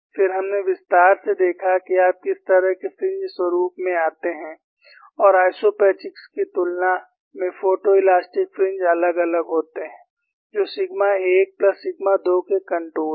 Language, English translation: Hindi, Then, we saw at length, what are the kind of fringe patterns that you come across and how photo elastic fringes are, fringes are different in comparison to isopachs which on contours of sigma 1 plus sigma 2